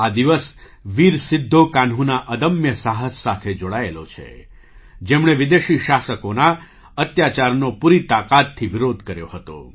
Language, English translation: Gujarati, This day is associated with the indomitable courage of Veer Sidhu Kanhu, who strongly opposed the atrocities of the foreign rulers